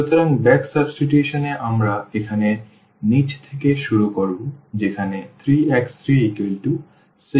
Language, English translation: Bengali, So, back substitution we will start from the bottom here where the 3 is equal to 6